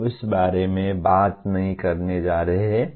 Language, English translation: Hindi, We are not going to talk about that